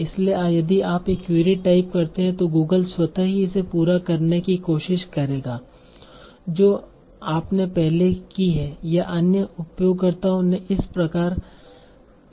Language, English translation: Hindi, So if you type a query Google is they will try to complete it with what you have queried before or what other users have queried with these terms